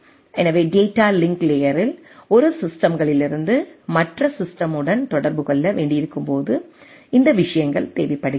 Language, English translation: Tamil, So, these things are needed for while we have to communicate from one system to other system at the data link layer